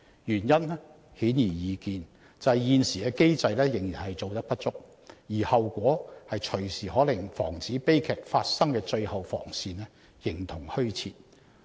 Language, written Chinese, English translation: Cantonese, 原因顯而易見，便是現時的機制仍然做得不足，而後果動輒可令防止悲劇發生的最後防線形同虛設。, The reasons are evident ie . the existing mechanism is still not adequate and the consequences can readily render the last defence of preventing family tragedies virtually non - existent